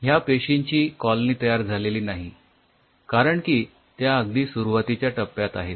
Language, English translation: Marathi, there is no colony because they are still with very early phase